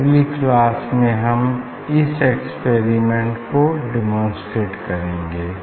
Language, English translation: Hindi, in next class I will demonstrate this experiment based on this discussion here